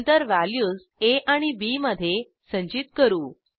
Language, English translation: Marathi, Then we stored the value in a and b